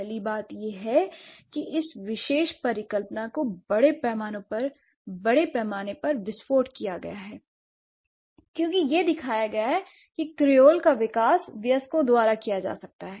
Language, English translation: Hindi, So, the first thing is that the hypothesis, this particular hypothesis has been largely exploded because it has shown that creoles may be developed by adults